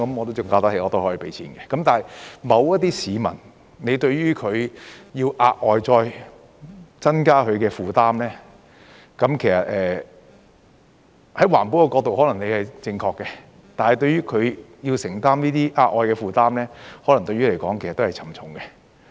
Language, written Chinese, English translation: Cantonese, 但是，對於某些市民，要額外再增加他的負擔，其實從環保的角度你可能是正確的，但對於他要承擔這些額外的負擔，可能對他來說亦是沉重的。, However for some people if you are going to put an extra burden on them actually you may be right from the perspective of environmental protection but it may also impose a heavy strain on them if they have to bear such an additional burden